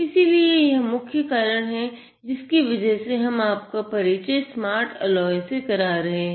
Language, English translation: Hindi, So, that is the main reason why we are introducing, the smart, the smart alloy here